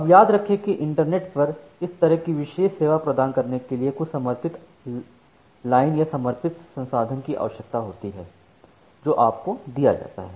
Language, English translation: Hindi, Now, remember that providing this kind of special service over the internet requires something like a dedicated line or a dedicated resource that is given to you